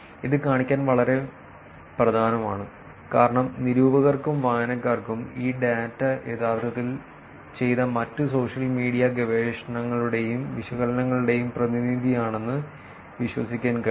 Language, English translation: Malayalam, And this is very, very important to show because the reviewers and the readers can actually believe that this data is actually representative of other social media research that has been done and analysis that has been done